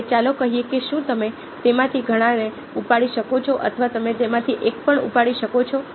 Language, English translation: Gujarati, ok, now lets say that are you pick up either many of them or you can pick up even one of them